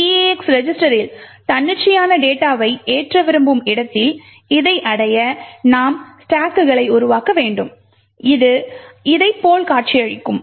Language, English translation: Tamil, In order to achieve this where we want to load arbitrary data into the eax register, we need to create our stacks which would look something like this way